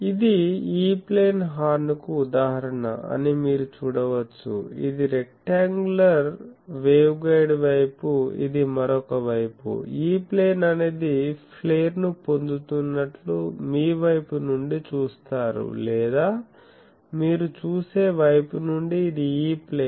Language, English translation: Telugu, You can see this is an example of a E plane horn you can see this is the rectangular waveguide side this is the other side, you see from the side if you see that E plane is getting flare or from the side you see that this is the E plane